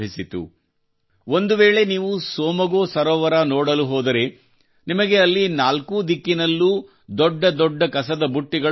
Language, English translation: Kannada, Today, if you go to see the Tsomgolake, you will find huge garbage bins all around there